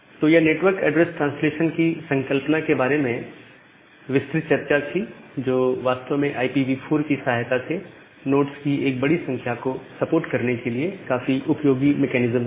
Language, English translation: Hindi, So, that is all about this concept of network address translation which is actually a very useful mechanism to support large number of nodes with the help of IP version 4